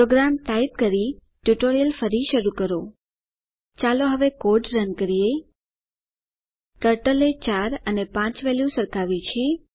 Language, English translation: Gujarati, Resume the tutorial after typing the program Lets Run the code now the Turtle has compared the values 4 and 5